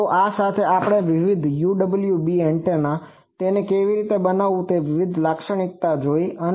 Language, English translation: Gujarati, So, with this we have seen that various UWB antennas, there are various characteristic how to make that